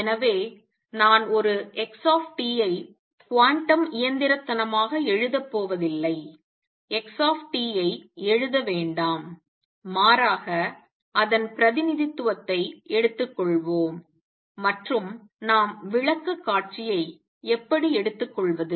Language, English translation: Tamil, So, I am not going to write an xt quantum mechanically do not write x t, but rather take its representation and how are we taking the presentation